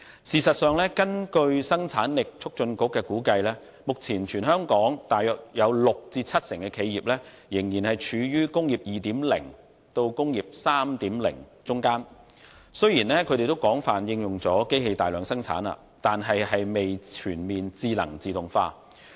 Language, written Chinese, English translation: Cantonese, 事實上，根據香港生產力促進局估計，目前香港大約有六成至七成企業仍然處於"工業 2.0" 和"工業 3.0" 之間，即是雖然已經廣泛應用機器大量生產，但未全面智能自動化。, In fact HKPC estimated that about 60 % to 70 % of enterprises in Hong Kong still lie between Industry 2.0 and Industry 3.0 at present which means that mass production is possible with the extensive use of machines but they have yet to achieve comprehensive automated production